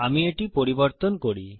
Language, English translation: Bengali, Let me change this